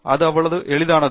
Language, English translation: Tamil, It is as simple as that